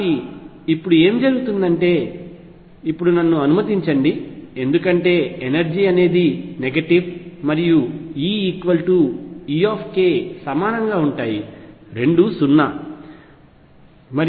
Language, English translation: Telugu, So, what happens now is let me now because the energy is negative start from E equals e k 0 here and this is k this is k E equals 0 here